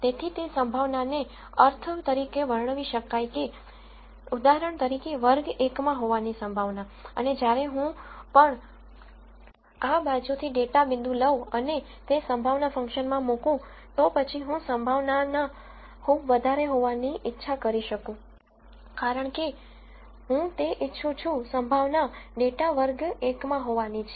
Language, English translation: Gujarati, So, it might interpret the probability as the probability that the data belongs to class 1 for example, and whenever I take a data point from this side and, put it into that probability function, then I want the probability to be very high because I want that as the probability that the data belongs to class 1